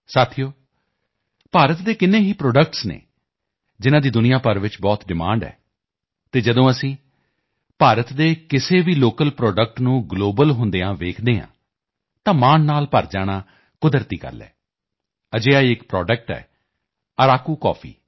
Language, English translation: Punjabi, Friends, there are so many products of India which are in great demand all over the world and when we see a local product of India going global, it is natural to feel proud